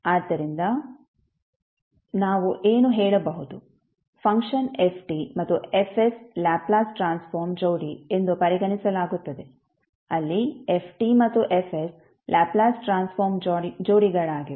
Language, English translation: Kannada, So, what we can say the function ft and fs are regarded as the Laplace transform pair where ft and fs are the Laplace transform pairs